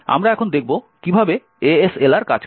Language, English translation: Bengali, We will now see how ASLR works